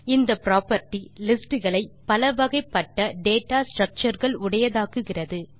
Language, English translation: Tamil, This property makes lists heterogeneous data structures